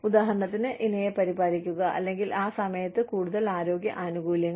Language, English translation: Malayalam, For example, care for spouse, or, more health benefits, at that point of time